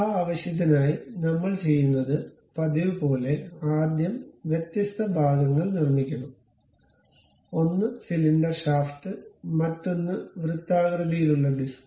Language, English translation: Malayalam, So, for that purpose, what we do is as usual first we have to construct different parts, one is cylinder shaft, other one is circular disc